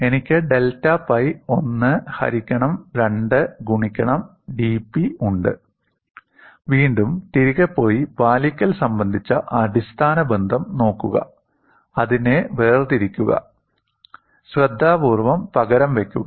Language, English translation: Malayalam, I have delta pi as 1 by 2 v into dP; again, go back and look at the basic relationship on compliance, differentiate it, and substitute it carefully